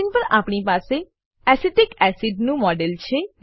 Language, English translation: Gujarati, We have a model of Acetic acid on screen